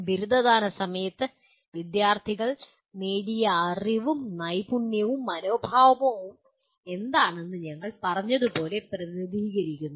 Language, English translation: Malayalam, Outcomes represent as we said what the knowledge and skills and attitude students have attained at the time of graduation